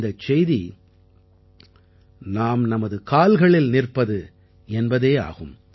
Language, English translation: Tamil, This message is 'to stand on one's own feet'